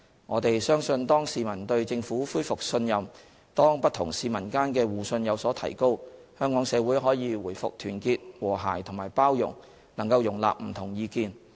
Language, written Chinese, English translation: Cantonese, 我們相信當市民對政府恢復信任、當不同市民間的互信有所提高，香港社會可以回復團結、和諧和包容，能夠容納不同意見。, We believe that when peoples confidence in the Government is restored and mutual trust among members of the public is enhanced the Hong Kong community will once again be united harmonious and inclusive to accommodate different opinions